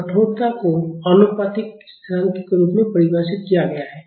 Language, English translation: Hindi, So, the stiffness is defined as the proportionality constant